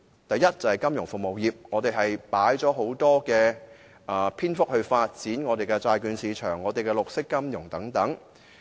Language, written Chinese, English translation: Cantonese, 第一，在金融服務方面，他用了很長篇幅論述如何發展債券市場、綠色金融等。, First on financial services he has devoted long treatment to the development of a bond market and green finance